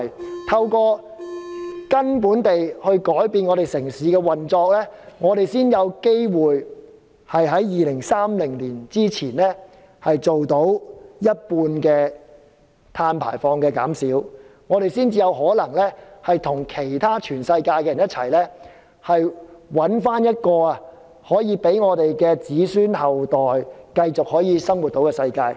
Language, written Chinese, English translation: Cantonese, 只有從根本改變整個城市的運作，我們才有機會在2030年前做到減少一半碳排放，才有可能與全世界一同找出讓我們的子孫後代可以繼續生活的世界。, Only by undergoing a fundamental change to the operation of the entire city can we have the chance to reduce our carbon emissions by 50 % by 2030 . Only then will we be able to join the rest of the world to find a world for our future generations to continue to live in